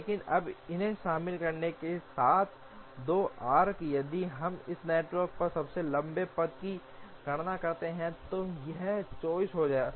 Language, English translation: Hindi, But now with the inclusion of these 2 arcs, if we compute the longest path on this network would become 34